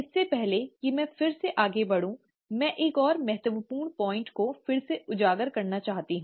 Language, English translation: Hindi, Before I go again further, I want to again highlight another important point